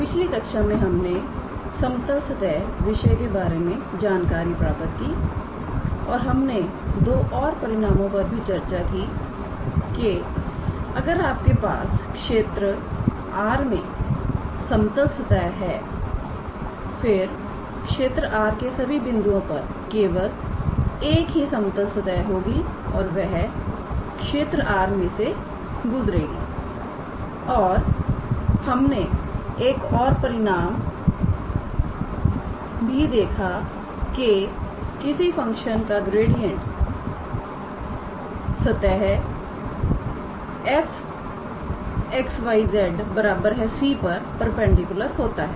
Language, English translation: Hindi, So, in the previous class, we introduced the concept of level surfaces and we also saw two results that when you have a level surface on a region R, then at every point of R only one level surface and that can pass through that point in R and we also saw another result which says that gradient of a function is perpendicular to the surface f x, y, z equals to c